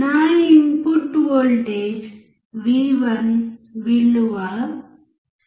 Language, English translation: Telugu, My input voltage V1 was 0